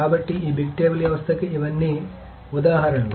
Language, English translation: Telugu, So these are all examples of this big table systems